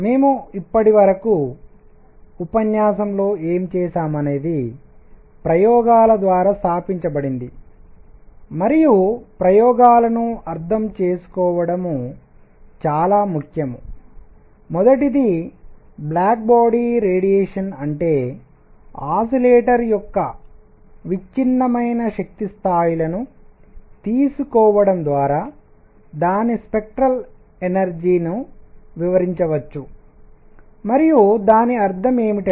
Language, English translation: Telugu, So, what we have done in the lecture so far is that established through experiments and that is very important to understand experiments that number one: black body radiation and that means its spectral density can be explained by taking the energy levels of an oscillator quantized